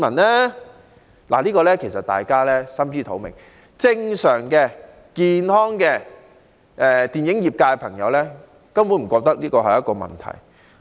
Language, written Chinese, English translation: Cantonese, 對此大家其實心知肚明，因為正常、健康的電影業人士根本不會感到這是一個問題。, The answer is actually crystal clear to every one of us because for those normal and healthy elements in the film sector this will not be a problem at all